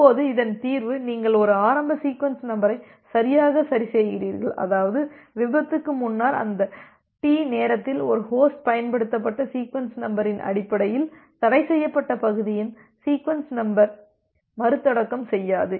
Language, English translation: Tamil, Now, the solution here is you adjust a initial sequence number properly; that means, a host does not restart with the sequence number in the forbidden region based on the sequence number it used before crash and at the time duration T